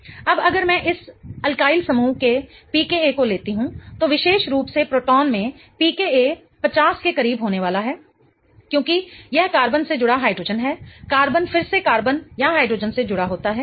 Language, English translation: Hindi, Now if I take this alkiel group PCA that particular proton is going to have a PCA close to 50 because it is a hydrogen attached to a carbon